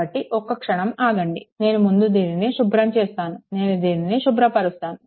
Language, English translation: Telugu, So, just hold on ah this is just let me clear it first, right, let me clear it first